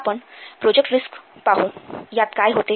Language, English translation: Marathi, So let's see in the project risk what is happening